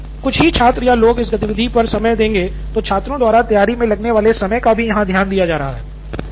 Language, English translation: Hindi, And because it is only a couple of students or people who are looking into this activity, the time, the overall time taken by students to prepare is definitely there